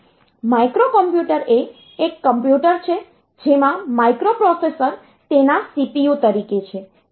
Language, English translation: Gujarati, A microcomputer is a computer with a microprocessor as its CPU